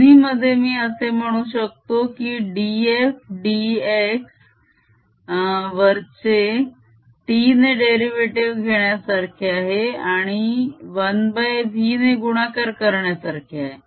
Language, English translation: Marathi, in both i can say that d f d x in the upper one is equivalent, taking a derivative with respect to t and multiplying by v